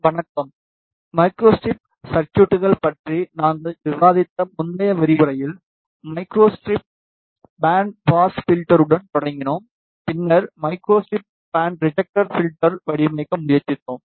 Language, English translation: Tamil, Hello, in the previous lectures we discussed about micro strip circuits, we started with micro strip band pass filter, then we tried to design micro strip band reject filter